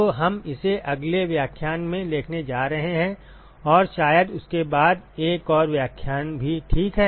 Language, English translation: Hindi, So, we are going to see that in the next lecture and probably another lecture after that as well ok